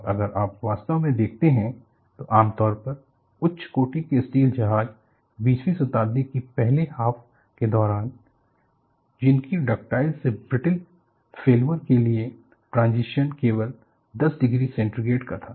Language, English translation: Hindi, And if you really look at, during the first half of the 20th century for typically high grade ship steel, the ductile to brittle failure transition was only 10 degree centigrade